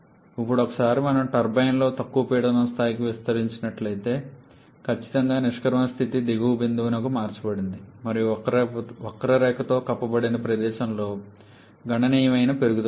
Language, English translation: Telugu, Now once we are expanding in the turbine to a lower pressure level then definitely the exit state is getting shifted to a lower point and there is a significant increase in the area that has been enclosed by the curve